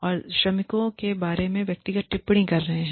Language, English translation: Hindi, And, making personal comments, about the workers